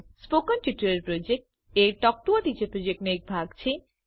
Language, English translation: Gujarati, The Spoken Tutorial Project is a part of the Talk to a Teacher project